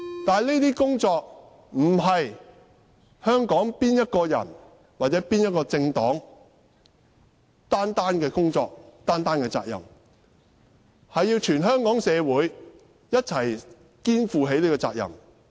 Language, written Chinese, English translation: Cantonese, 但這些工作不是香港某一個人或某一個政黨單方面的工作和責任，而是全港社會一起肩負的責任。, But these tasks cannot be achieved by the work of and be considered as the responsibility of one single person or political party in Hong Kong . These tasks are the responsibility of all people in society